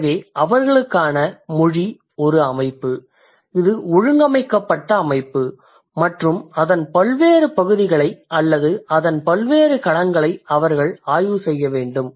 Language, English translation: Tamil, So language for them is a system it's an organized body and they have to study various parts of it or various domains of it and they also work through investigations and analysis